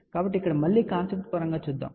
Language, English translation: Telugu, So, here again let us see the concept point of view